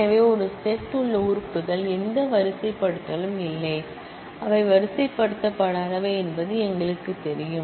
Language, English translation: Tamil, So, we know the elements in a set are do not have any ordering, they are unordered